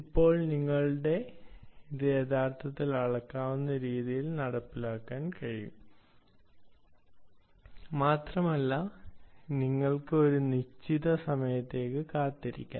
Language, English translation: Malayalam, now you can actually implement this an very scalable manner and you can perhaps wait for a certain interval of time